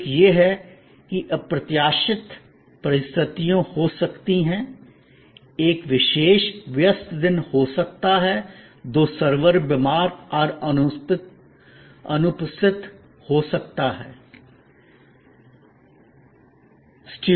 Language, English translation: Hindi, One is that, there can be unforeseen circumstances, may be on a particular busy day two servers are sick and absent